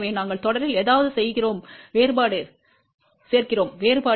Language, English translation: Tamil, So, we add something in series and that difference will be now equal to minus j 0